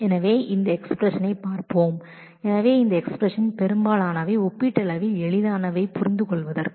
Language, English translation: Tamil, So, let us take a look into this expression so, most of these expressions are relatively easy to understand